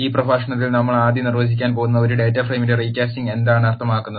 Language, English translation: Malayalam, In this lecture we are going to first define, what is recasting of a data frame mean,